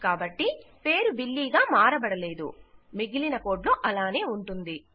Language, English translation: Telugu, So, the name is not changed to Billy instead itll carry on with the rest of our code